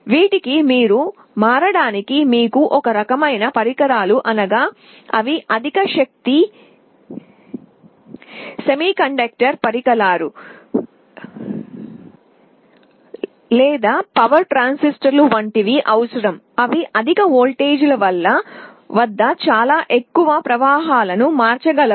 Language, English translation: Telugu, Here the kind of devices you require for the switching are high power semiconductor devices like thyristors or power transistors, they can switch very high currents at high voltages